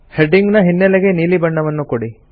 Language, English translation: Kannada, Give the background color to the headings as blue